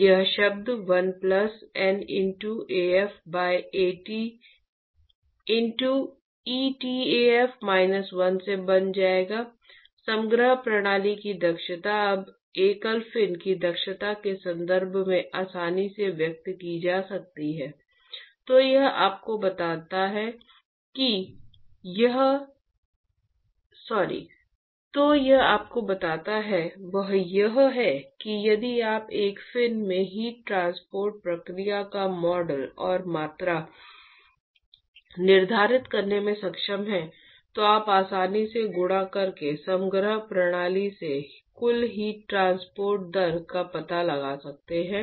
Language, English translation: Hindi, That will be, this term will become 1 plus N into Af by At into etaf minus 1, the efficiency of the composite system can now be easily expressed in terms of the efficiency of a single fin So, what it tells you is that if you are able to model and quantify the heat transport process in one fin you are done, you can easily find out what is the total heat transport rate from the composite system by simply multiplying